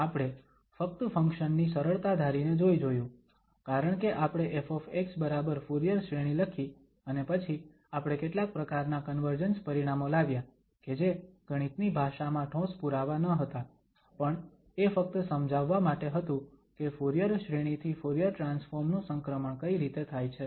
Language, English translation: Gujarati, We have just gone through assuming smoothness on the function because we have written f x equal to the Fourier series and then we have done some kind of convergence results which was not very rigorous proof in terms of the mathematics but it was just to give the idea that how this transition is taking place from the Fourier series to Fourier transform